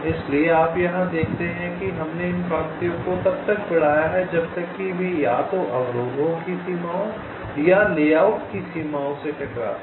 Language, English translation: Hindi, so you see, here we have extended this lines till they either hit the boundaries of the obstructions, the obstructions, or the boundaries of the layout